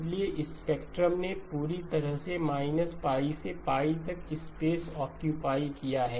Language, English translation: Hindi, So therefore the spectrum is fully occupying the space between minus pi to pi